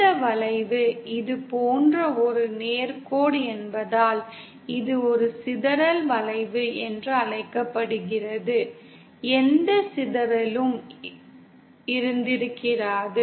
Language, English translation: Tamil, It is called as a dispersion curve because of this curve was a straight line like this, there would have been no dispersion